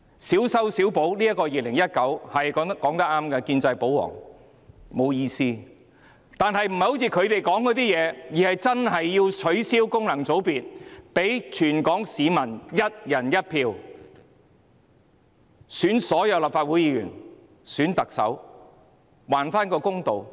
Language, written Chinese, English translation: Cantonese, 建制派、保皇黨說得對，小修小補《條例草案》是沒有意思的，但不是依他們所說，而是要真正取消功能界別，讓全港市民"一人一票"選舉所有立法會議員和特首，還市民一個公道。, The pro - establishment and pro - Government camps were right in that the minor patch - ups in the Bill are meaningless but contrary to their point it should do Hong Kong people justice by abolishing the FCs and letting Hong Kong citizens elect all Legislative Council Members and the Chief Executive on a one person one vote basis